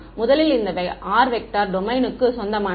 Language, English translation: Tamil, First is when this r vector belongs to the domain ok